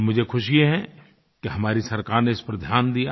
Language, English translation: Hindi, And I'm glad that our government paid heed to this matter